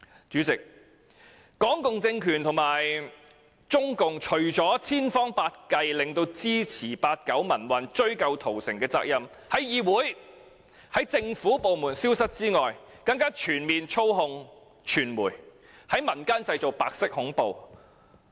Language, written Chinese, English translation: Cantonese, 主席，港共政權和中共除了千方百計令支持八九民運，追究屠城責任的行為，不再在議會和政府部門出現外，更全面操控傳媒，在民間製造白色恐怖。, President apart from trying every possible means to prevent acts of supporting the 1989 pro - democracy movement and pursuing responsibility for the massacre from re - appearing in this Council and government departments the Hong Kong communist regime and CPC have also taken full control of the media and created white terror in the community